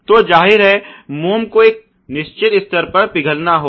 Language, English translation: Hindi, So obviously, the wax has to be melted to a certain level